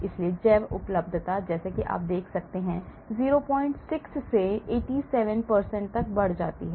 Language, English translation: Hindi, so the bioavailability as you can see increases from 0